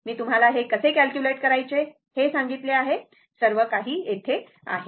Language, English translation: Marathi, I told you how to calculate it; everything is here, right